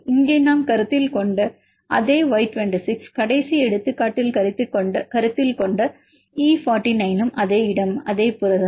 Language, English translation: Tamil, The same Y26 here we have considered, they are in the last example we consider the E49 this is a location same protein